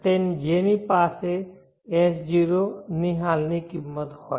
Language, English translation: Gujarati, So that it has a present worth of S0